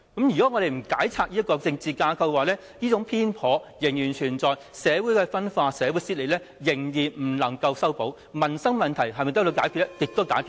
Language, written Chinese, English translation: Cantonese, 如果我們不解拆這種政治架構，這種偏頗仍然存在，社會間的分化、撕裂，仍然未能修補，民生問題亦無從解決。, If we are reluctant to dissemble this political structure the partiality will persist . Social polarization and social cleavage will not be mended and there will be no way to address peoples livelihood issues